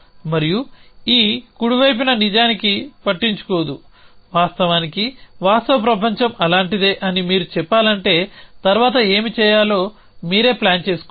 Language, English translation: Telugu, And this right hand side is actually will does not care not of course the real world is like that if you are let us say planning for yourself what to do next